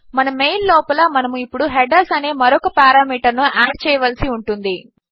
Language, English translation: Telugu, Inside our mail we need to add another parameter now which is headers